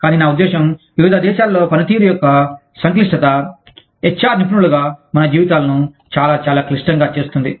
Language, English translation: Telugu, But, it is, i mean, the complexity of functioning in different countries, makes our lives as HR professionals, very, very, complex